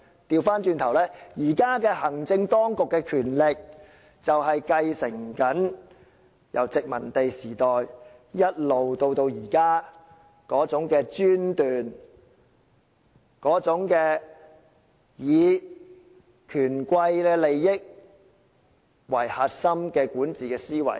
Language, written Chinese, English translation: Cantonese, 相反，現在的行政當局正正繼承了殖民時代的專權做法，以及以權貴的利益為核心的管治思維。, On the other hand the existing executive authorities have exactly inherited the despotic practices of the colonial era and the ruling mentality with the tycoons interests at its core